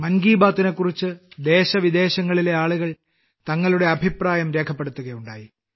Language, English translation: Malayalam, People from India and abroad have expressed their views on 'Mann Ki Baat'